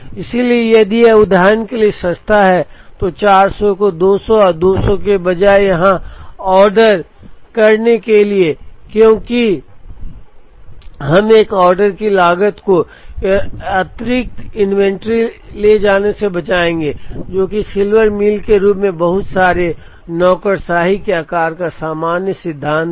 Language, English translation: Hindi, So, if it is cheaper for example, to order 400 here, instead of a 200 and 200, because we will save one order cost incur an extra inventory carrying, which is the general principle of lot sizing heuristic such as Silver Meal